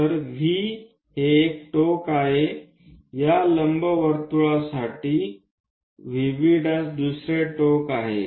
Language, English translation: Marathi, So, V is one end of this ellipse V prime is another end of an ellipse